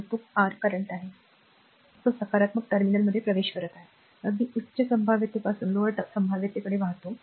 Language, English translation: Marathi, And it is your current is flow entering into the positive terminal, right that is flowing from higher potential to lower potential